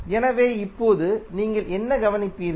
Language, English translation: Tamil, So, now what you will observe